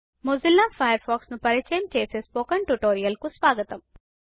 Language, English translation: Telugu, Welcome to the Spoken tutorial on Introduction to Mozilla Firefox